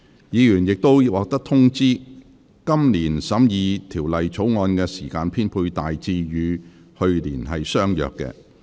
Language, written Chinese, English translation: Cantonese, 議員已獲通知，今年審議《條例草案》的時間編配大致與去年相若。, Members have already been informed that the allocation of time for consideration of the Bill this year is by and large the same as that for last year